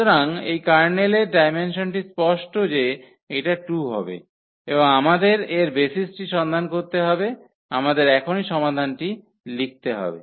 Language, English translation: Bengali, So, the dimension of this Kernel is clear that is going to be 2 and we have to find the basis for that we have to write down solution now